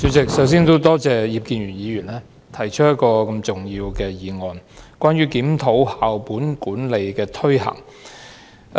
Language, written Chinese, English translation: Cantonese, 代理主席，我首先多謝葉建源議員動議這項重要的"檢討校本管理的推行"議案。, Deputy President first of all I would like to thank Mr IP Kin - yuen for moving this important motion on Reviewing the implementation of school - based management